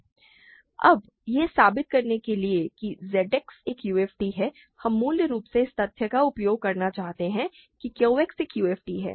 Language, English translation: Hindi, Now, to prove that Z X is a UFD what we want to do is basically use the fact that Q X is a UFD